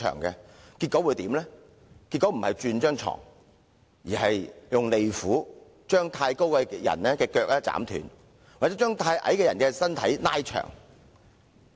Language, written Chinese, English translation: Cantonese, 結果他不是給客人換床，而是用利斧斬去過長的雙腳或是拉長過短的身軀。, Instead of changing the bed for his guests he either axed the long legs of tall guests or stretched the body of short guests